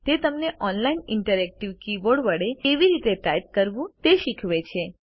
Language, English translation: Gujarati, It teaches you how to type using an online interactive keyboard